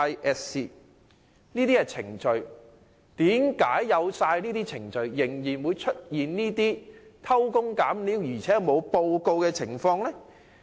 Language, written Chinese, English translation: Cantonese, 既已訂有這些程序，為何仍會出現偷工減料且沒有上報的情況？, With all these procedures in place how come there are still unreported corner - cutting situations?